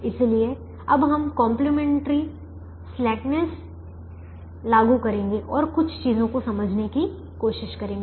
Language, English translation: Hindi, so now we will apply complimentary slackness and try to understand a few things